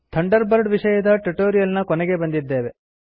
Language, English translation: Kannada, This brings us to the end of this tutorial on Thunderbird